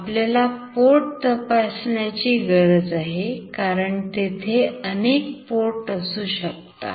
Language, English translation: Marathi, We need to check the port as there can be many ports